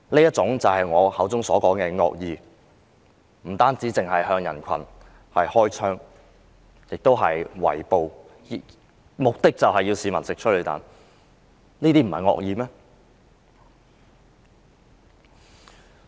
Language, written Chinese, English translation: Cantonese, 這就是我說的惡意，警方不但向人群開槍，更進行圍捕，目的就是要示威者嚐催淚彈。, This is what I meant by malice . The Police not only shot at the crowds but also encircled them for arrest . The purpose was to fire tear gas rounds at protesters